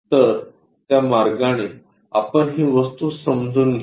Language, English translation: Marathi, So, in that way we are going to sense this object